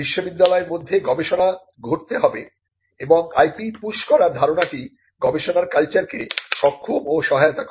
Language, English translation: Bengali, There has to be a research happening within the university and the idea of pushing IP is that it also enables and facilitates a culture of research